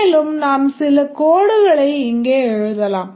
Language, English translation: Tamil, We will get a code like this